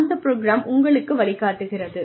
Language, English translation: Tamil, And, the program itself, guides you